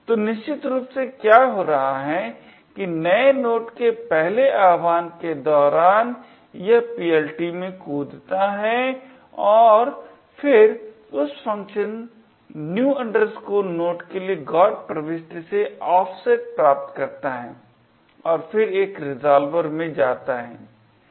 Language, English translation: Hindi, So, essentially what is happening is that during the first invocation of new node it jumps into the PLT and then obtains an offset from the GOT entry for that particular function new node and then goes into a resolver